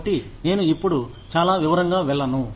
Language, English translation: Telugu, So, I will not go in to, too much detail now